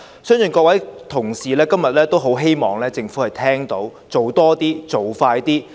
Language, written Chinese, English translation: Cantonese, 相信各位同事今天也很希望政府聽到，我們要求它做多些，做快些。, I believe that today Members all hope that the Government can pay heed to their demand for more faster actions